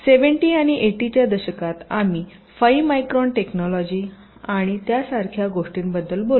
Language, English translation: Marathi, ok, so in the beginning, in the seventies and eighties, we used to talk about five micron technology and things like that